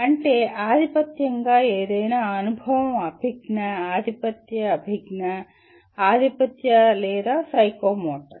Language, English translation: Telugu, That means dominantly any experience will be either cognitive, dominantly cognitive, dominantly affective, or psychomotor